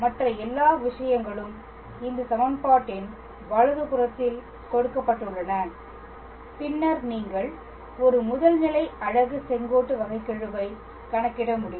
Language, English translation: Tamil, And all the other things are given on the right hand side of this equation, then you can be able to calculate the derivative of a unit principal normal